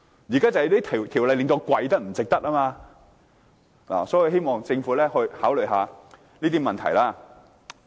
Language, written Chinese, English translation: Cantonese, 但現在這條例不值得我跪，所以，我希望政府考慮這些問題。, However the existing law is unworthy of another kneeling . Hence I hope the Government will consider these issues